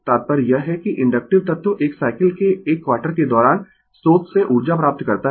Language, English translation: Hindi, The implication is that the inductive element receives energy from the source during 1 quarter of a cycle